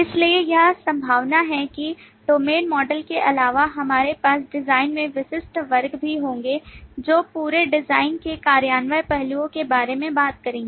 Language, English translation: Hindi, So it is likely, besides the domain models, we will also have specific classes added to the design, which will talk about the implementation aspect of the whole design